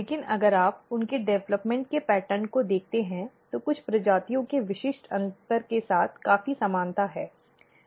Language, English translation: Hindi, But if you look the pattern of their development, so there is a quite similarity of course, there must be some species specific differences